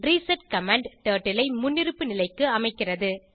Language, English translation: Tamil, reset command sets the Turtle to default position